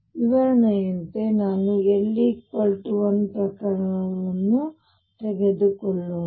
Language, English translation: Kannada, As an illustration let us also take a case of l equals 1